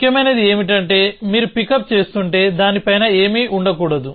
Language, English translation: Telugu, What is important is that if you are picking up there must be nothing on top of it